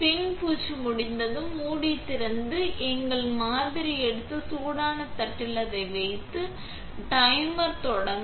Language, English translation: Tamil, When the spin coating is complete, we open the lid, take off our sample and put it on the hot plate and start the timer